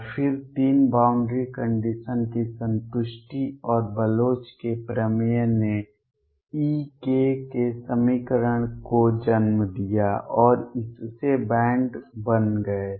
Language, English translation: Hindi, And then three, satisfaction of the boundary condition and Bloch’s theorem led to the equation for e k and that led to bands